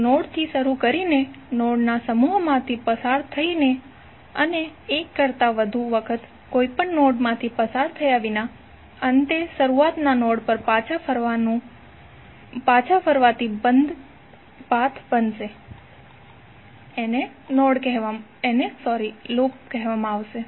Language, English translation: Gujarati, The closed path formed by starting at a node, passing through a set of nodes and finally returning to the starting node without passing through any node more than once